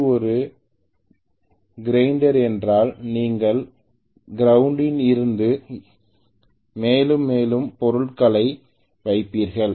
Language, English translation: Tamil, If it is a grinder you will put more and more material to be ground